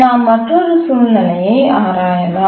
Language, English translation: Tamil, Now let's look at one example